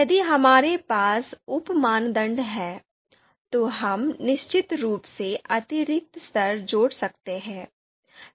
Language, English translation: Hindi, If we have sub criteria, then we can certainly add additional levels